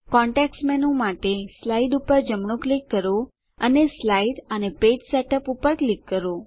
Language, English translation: Gujarati, Right click on the slide for the context menu and click Slide and Page Setup